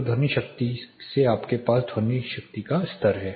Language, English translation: Hindi, So, you have from sound power you have the sound power level